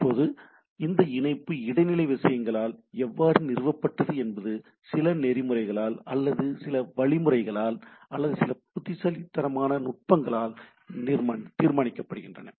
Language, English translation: Tamil, Now, this how this connectivity’s will be established by at the intermediate things is decided by some protocols or some algorithms or some way intelligent techniques that it how things will be established